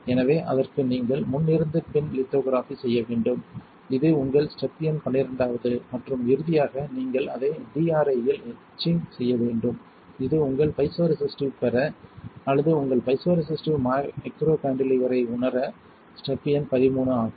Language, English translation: Tamil, So, that for that you have to perform the front to back lithography, which is your step number twelve and finally you etch it in DRI which is step number 13 to get your piezoresistive or to realise your piezoresistive micro cantilever